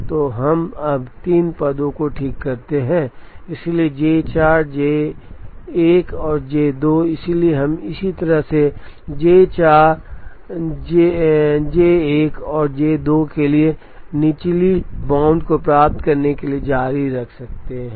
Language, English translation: Hindi, So, we fix 3 positions now, so J 4 J 1 and J 2, so we can continue in the same way to get the lower bound for J 4 J 1 and J 2